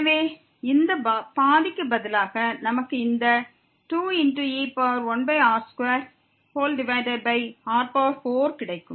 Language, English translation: Tamil, So, replacing this by half we will get this 2 e power minus 1 over r square over 4